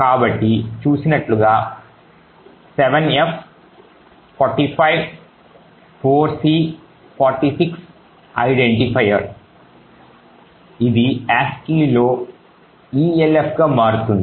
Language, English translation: Telugu, So as seen this is the identifier 7f 45 4c 46 which actually transforms to elf in ASCII